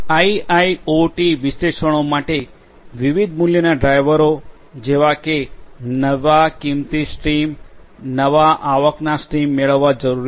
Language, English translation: Gujarati, The different value drivers for IIoT analytics are like this, that you know it is required to derive new value streams, new revenue streams